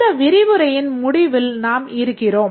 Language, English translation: Tamil, We are almost at the end of this lecture